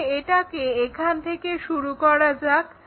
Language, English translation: Bengali, So, let us begin it here